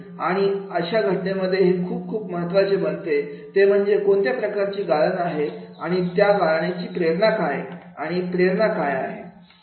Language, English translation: Marathi, And in that case it becomes very, very important that is what type of the filter and what is that filter motivation